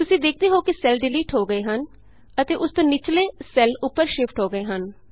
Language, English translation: Punjabi, You see that the cell gets deleted and the cells below it shifts up